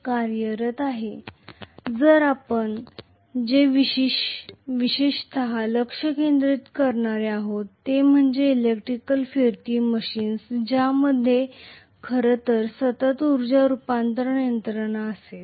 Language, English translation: Marathi, So what we are going to concentrate specifically is electrical rotating machines which will actually have continuous energy conversion mechanism, right